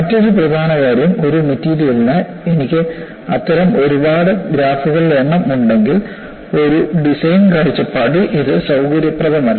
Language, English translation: Malayalam, Another important aspect is, for one material, if I have number of such graphs, it would not be convenient from a design point of view